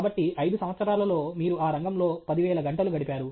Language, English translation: Telugu, So, in 5 years you would have put in some 10,000 hours in that field